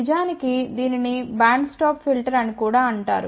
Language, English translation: Telugu, In fact, it is also known as a band stop filter